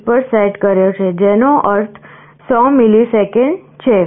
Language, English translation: Gujarati, 1, which means 100 millisecond